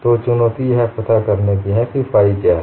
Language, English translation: Hindi, So, the challenge is in finding out what is phi